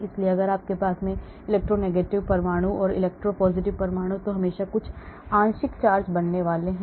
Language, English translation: Hindi, so if you have there are electronegative atoms and electropositive atoms so there is always going to be some partial charges created